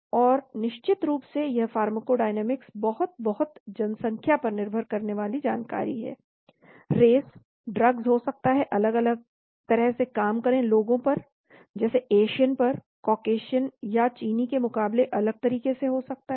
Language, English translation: Hindi, And of course this pharmacodynamics is very, very, very population dependent information: race , drugs mayact differently on the say Asians as against the Caucasians or the Chinese